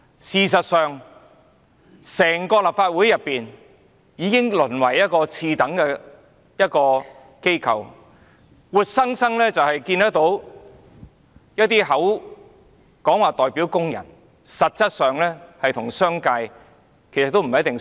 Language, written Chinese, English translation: Cantonese, 事實上，整個立法會已淪為一個次等機構，我們活生生看到一些議員口口聲聲說代表工人，但實質上是跟隨商界的做法。, In fact the entire Legislative Council has been degenerated into a subordinate organization where we see certain Members vowing to represent workers while actually following the commercial sector . That said there are some pleasant voices from the commercial sector